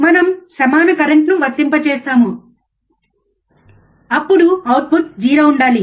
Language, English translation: Telugu, wWe are we apply equal current then output should be 0, right